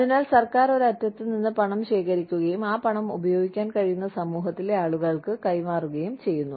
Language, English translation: Malayalam, So, the government collects the money, from one end, and passes on to the people, in the community, who can use that money